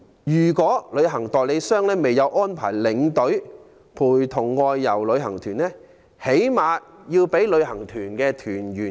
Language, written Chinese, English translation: Cantonese, 如旅行代理商未有安排領隊陪同外遊旅行團，最低限度要通知團友。, In this case travel agents should at least inform tour group members of this arrangement